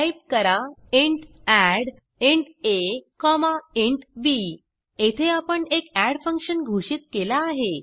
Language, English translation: Marathi, Type int add(int a, int b) Here we have declared a function add